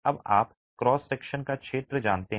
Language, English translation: Hindi, So we start reducing the cross sections